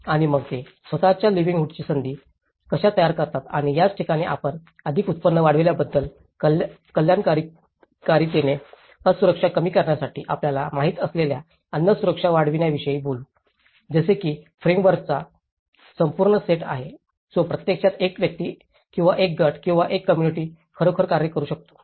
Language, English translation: Marathi, And then how they create their own livelihood opportunities and this is where we talk about the more income increased, wellbeing, reduce vulnerability, increase food security you know, like that there is whole set of framework, which actually an individual or a group or a community can actually work with it